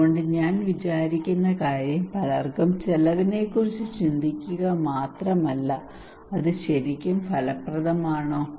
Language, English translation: Malayalam, So the thing I will think not only cost many people think about the cost, but I will think also is it really effective